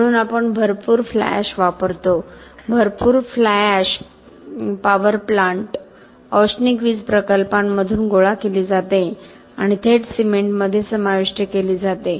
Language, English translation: Marathi, So, we use a lot of fly ash, lot of fly ash is collected from power plants thermal power plants and taken to be incorporated in cement directly